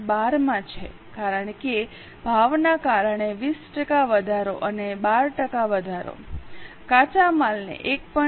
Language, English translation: Gujarati, 12 because 20% increase and 12% increase because of price raw material into 1